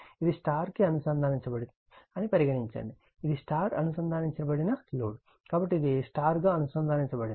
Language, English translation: Telugu, Suppose, this is your star connected, this is your star connected right load, so this is star connected